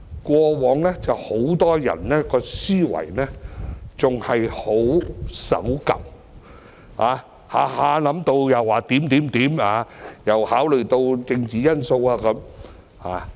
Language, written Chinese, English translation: Cantonese, 以往很多人的思維仍然相當守舊，經常說一些有的沒的，又要考慮政治因素。, Before many people still clung to their conservative mentality often making sceptical remarks and having political considerations in their mind